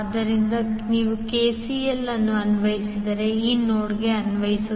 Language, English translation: Kannada, So, if you applied KCL apply to this particular node